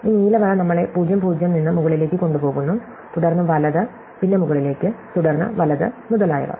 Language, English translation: Malayalam, This blue line takes us up from (0, 0), then right, then up, then right and so on